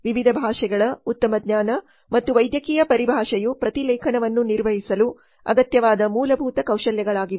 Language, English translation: Kannada, Good knowledge of different languages and medical terminology are basic skills required to perform the transcription